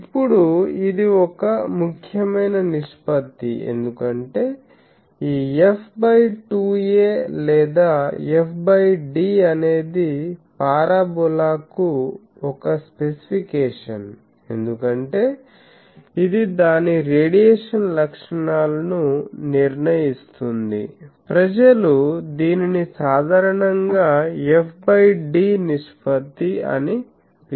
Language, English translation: Telugu, Now, this is an important ratio as we will see that these f by 2a or f by d that is a specification for a parabola, because it determines all its radiation properties, f by d ratio people generally call it